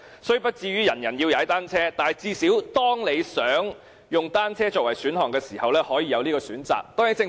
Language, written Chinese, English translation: Cantonese, 雖不至於人人要踏單車，但最少當市民想以單車作為代步工具時，可以有這個選擇。, Not everyone has to ride a bicycle but at least when people want to commute by bicycles they have the choice